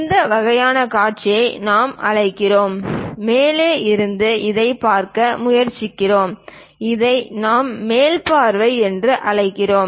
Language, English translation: Tamil, This kind of views what we are calling, from top we are trying to look at this is what we call top view